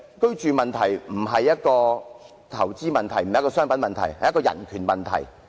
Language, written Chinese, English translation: Cantonese, 居住問題並非投資問題，也非商品問題，而是人權問題。, The housing problem is not a problem related to investments or commodities . Rather it is related to human rights